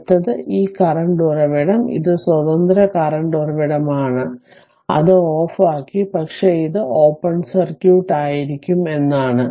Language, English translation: Malayalam, Next this current source, it is independent current source; So, turned it off, but means it will be open circuit right